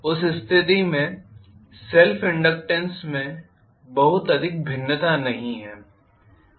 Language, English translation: Hindi, In which case there is not going to be much variation in the self inductance at all